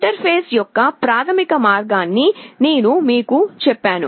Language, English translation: Telugu, I have told you the basic way of interfacing